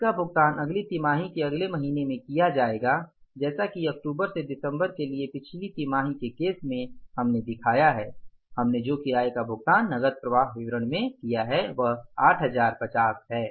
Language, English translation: Hindi, As in case of the previous quarter for the October to December, we have shown that the rent we have paid in the cash flow statement that is 8050